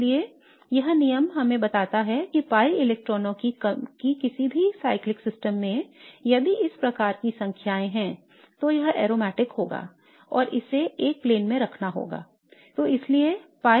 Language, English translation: Hindi, So what this rule tells us is that any cyclic system of pi electrons, if it has these kind of numbers then it would be aromatic and it has to be in a plane